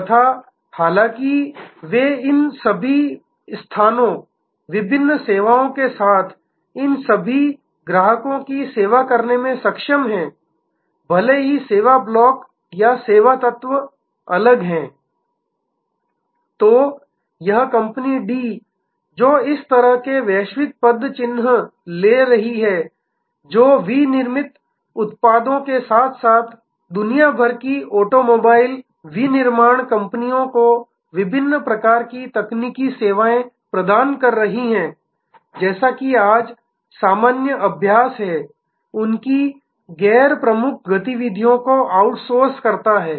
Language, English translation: Hindi, And; however, they are able to serve all these locations, all these customers with the variety of services; even though the service blocks or service elements might be produced in different… So, this company D, which is having this kind of global footprint giving delivering manufactured products as well as different kinds of technological services to automobile manufacturing companies around the world, will as is the normal practice today, outsource their non core activities